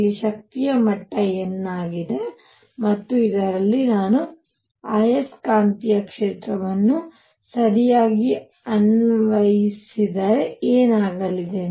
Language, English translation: Kannada, Here is an energy level E n and in this now what is going to happen if I apply the magnetic field right